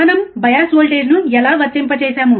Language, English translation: Telugu, How we apply bias voltage